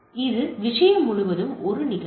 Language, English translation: Tamil, So, it is it event across the thing